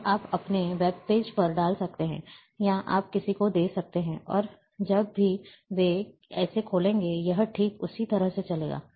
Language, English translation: Hindi, And you can put on your webpage, or you can give to somebody, and when they will open it, it will run exactly in the same way